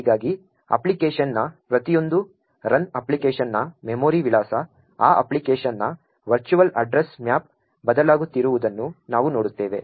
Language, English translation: Kannada, Thus we see that each run of the application thus we see with each run of the application, the memory address of the application, the virtual address map for that application is changing